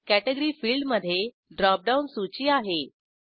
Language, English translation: Marathi, Category field has a drop down list